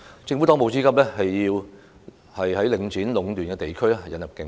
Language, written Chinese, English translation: Cantonese, 政府當務之急是在領展壟斷的地區引入競爭。, The most pressing task of the Government now is to introduce competition in districts monopolized by Link REIT